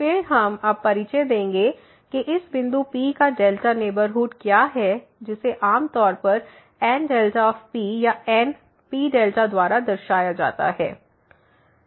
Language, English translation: Hindi, Then, we will introduce now what is the delta neighborhood of this point P which is usually denoted by N delta P or N P delta